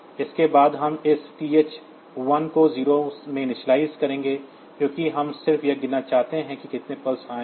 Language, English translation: Hindi, So, this is the mode 2 setting next, we will initialize this TH 1 to 0 because we just want to count how many pulses have come